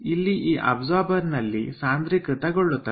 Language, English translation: Kannada, so here in the absorber it is condensed